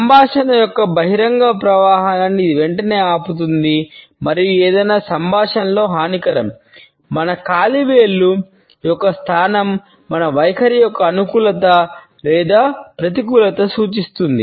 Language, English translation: Telugu, It immediately stops, the open flow of conversation and is detrimental in any dialogue; it is the position of our toes which suggest a positivity or negativity of our attitude